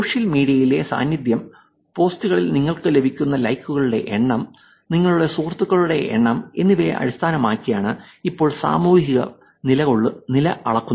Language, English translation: Malayalam, The social status is now being measured by the presence in social media; by the number of likes that you get on posts, number of friends that you have, it is becoming more and more popular